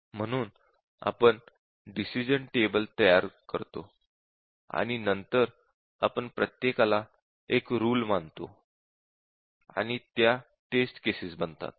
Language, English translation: Marathi, So, we represent the decision table and then we consider each one as a rule and this forms our test case